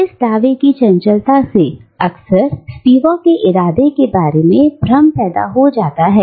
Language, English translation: Hindi, Now, the terseness of this assertion has often led to confusion about Spivak's intent